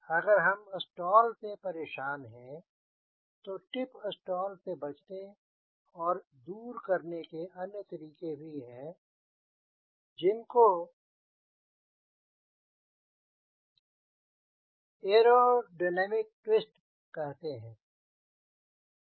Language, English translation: Hindi, if we are bothered about stall you going to avoid tip stall, there is another way of handling it is what we call is aerodynamic twist